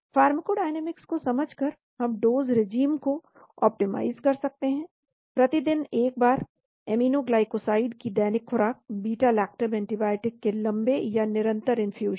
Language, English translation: Hindi, By understanding the pharmacodynamics, we can optimize the dosage regimes, once daily dosing of aminoglycoside, prolonged or continuous infusion of beta lactam antibiotics